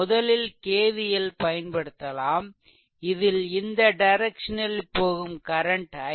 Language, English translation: Tamil, So, first you apply your K V L here say current flowing through this is i